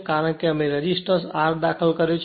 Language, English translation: Gujarati, That because, we have inserted that resistance R